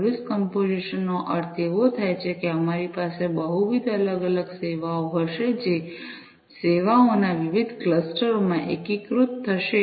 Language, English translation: Gujarati, Service composition means like we will have multiple different services, which will be aggregated together into different clusters of services